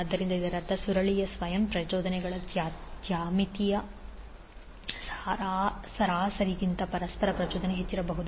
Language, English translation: Kannada, So that means the mutual inductance cannot be greater than the geometric mean of the self inductances of the coil